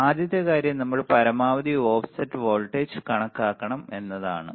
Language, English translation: Malayalam, So, the first thing is we have to calculate the maximum offset voltage